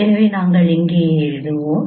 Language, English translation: Tamil, So that we will be getting here